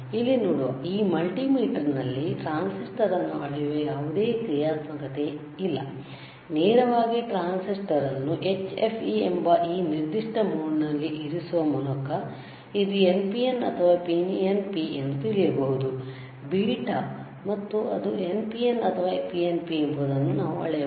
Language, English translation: Kannada, Now you see in this multimeter that you see here, there is no functionality that we can measure the transistor here we can directly place the transistor and know whether it is NPN or PNP by keeping it in this particular mode which is HFE, I told you last time and there is nothing, but the beta and we can measure whether it is NPN or PNP